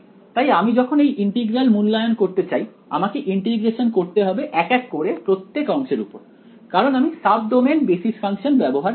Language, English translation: Bengali, So, when I go to evaluate the integral I have to do this integration sort of each segment one by one ok, that is because I am using sub domain basis functions